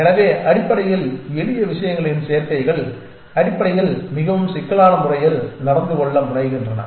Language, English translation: Tamil, So, basically combinations of simple things tend to behave in a more complex way essentially